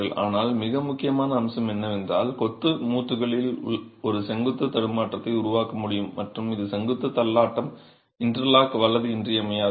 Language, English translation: Tamil, But the most important aspect is to be able to create a vertical stagger in the masonry joints and this vertical stagger is essential for interlocking